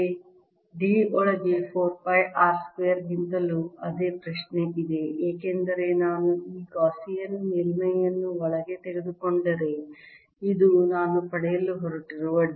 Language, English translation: Kannada, d inside is still the same: q over four pi r square, because if i take this gaussian surface inside, this is a d i am going to get